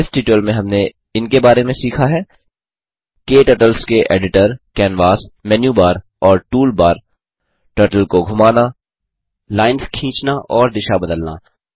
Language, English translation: Hindi, In this tutorial, we will learn about KTurtle Window Editor Canvas Menu Bar Toolbar We will also learn about, Moving the Turtle Drawing lines and changing directions